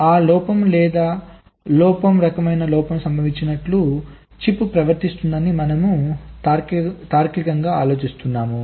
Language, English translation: Telugu, we are logically assuming or thinking that the chip is behaving as if this kind of fault has occurred in presence of that defect or error